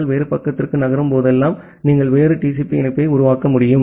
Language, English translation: Tamil, Whenever you are moving to a different page, you need to create a different TCP connection